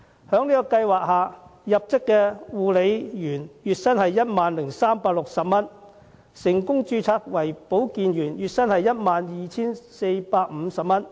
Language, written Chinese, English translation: Cantonese, 在這個計劃下，入職的護理員月薪為 10,360 元；成功註冊為保健員者，月薪則為 12,450 元。, Under the Scheme the monthly salary of a new carer is 10,360 and if the carer can successfully be registered as a health worker his or her monthly salary will be 12,450